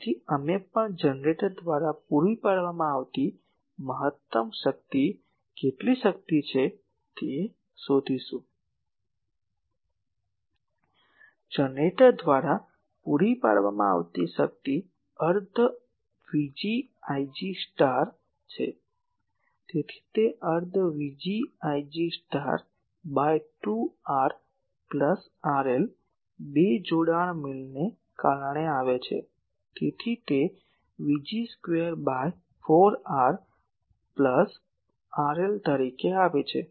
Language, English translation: Gujarati, So, also we can find out the maximum power supplied by the generator, how much power, Power supplied by the generator is half V g I g star so, it is half V g Vg star by 2 R r plus R L, 2 coming because of conjugate matching, so that is coming as V g square by 4 R r plus R L